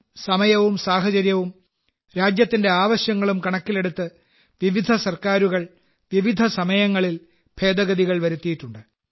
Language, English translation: Malayalam, In consonance with the times, circumstances and requirements of the country, various Governments carried out Amendments at different times